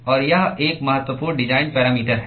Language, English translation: Hindi, And this is an important design parameter